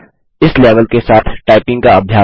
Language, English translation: Hindi, Practice typing with this level